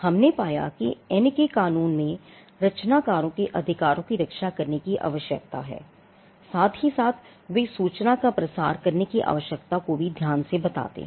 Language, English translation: Hindi, We found that in the statute of Anne though they have mentioned that there is a need to protect the rights of the creators they are also carefully worded the need to disseminate information as well